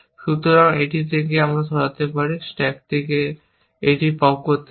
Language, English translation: Bengali, So, I can remove it from the, pop it from the stack